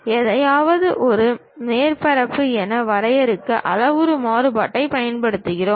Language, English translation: Tamil, We use parametric variation to define something as a surface